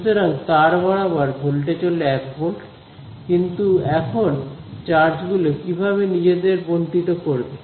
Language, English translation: Bengali, So, the voltage along the wire is 1 volt, but now how will the charges distribute themselves